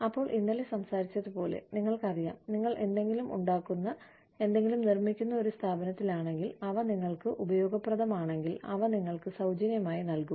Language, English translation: Malayalam, Then, as we talked about it yesterday, you know, if you are in an organization, that makes something, that manufacture something, we will give you those things, for free, if they are of use to you